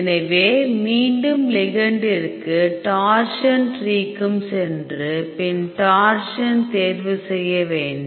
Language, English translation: Tamil, So, go to ligand again torsion tree choose torsions